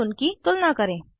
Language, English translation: Hindi, * And compare them